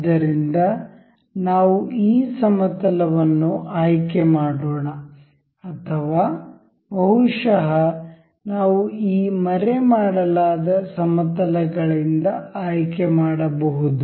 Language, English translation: Kannada, So, let us select this plane or maybe we can select from this hidden planes